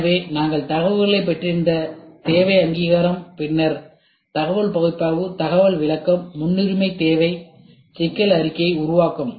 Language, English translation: Tamil, So, the need recognition we had acquiring information, then information analysis, information interpretation, need prioritization and problem statement forming